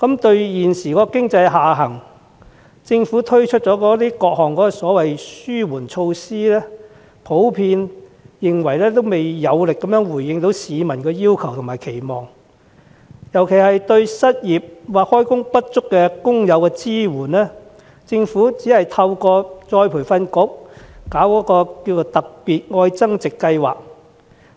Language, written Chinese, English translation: Cantonese, 對於政府就經濟下行推出的各項紓緩措施，大眾普遍認為未能有力回應市民的要求和期望，對失業或就業不足的工友的支援尤其不足，只透過僱員再培訓局舉辦的"特別.愛增值"計劃提供協助。, In response to the economic downturn the Government has implemented various relief measures . The general public considers such measures inadequate to address their demands and expectations particularly in terms of supporting unemployed and underemployed workers who can only get assistance through the Love Upgrading Special Scheme implemented by the Employees Retraining Board